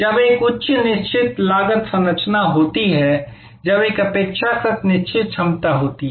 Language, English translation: Hindi, When, there is a high fixed cost structure, when there is a relatively fixed capacity